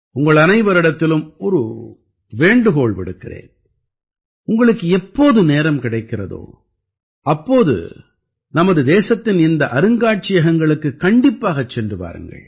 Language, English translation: Tamil, I urge you that whenever you get a chance, you must visit these museums in our country